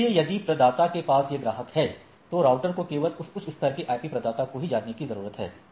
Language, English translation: Hindi, So, if the provider has these are the customers right routers only need to know this higher level IP only right